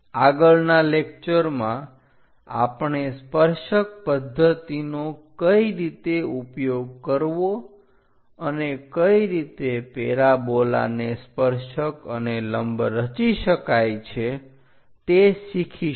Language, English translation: Gujarati, In the next lecture, we will learn more about how to use tangent method and how to construct tangent and normal to a parabola